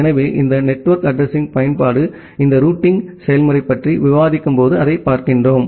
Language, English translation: Tamil, So, the utility of this network address we look into that when we discuss about this routing procedure